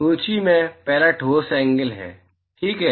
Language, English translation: Hindi, The first on the list is solid angle, ok